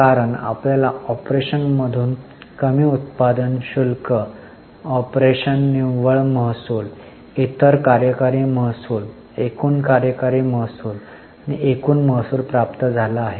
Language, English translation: Marathi, Because you have got revenue from operation, less excise, revenue from operations net, other operating revenue, total operating revenue and total revenue